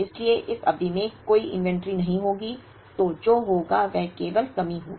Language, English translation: Hindi, So, there will be no inventory in the period so then what will happen is, there will be only shortage